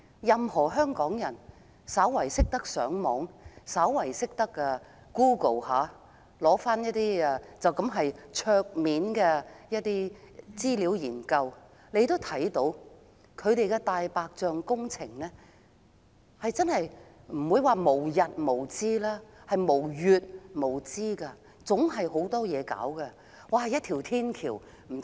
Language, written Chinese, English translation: Cantonese, 任何香港人只要略懂上網、略懂使用 Google 搜尋資料，簡單翻查一下網上的資料研究，便會知道政府"大白象"工程即使不是無日無之，也是無月無之，總是有很多工程要進行。, For anyone in Hong Kong who have some knowledge of how to use the Internet and Google search he can learn from a simple desktop research that the Government has proposed white elephant projects almost every month if not every day . Lots of works projects have been proposed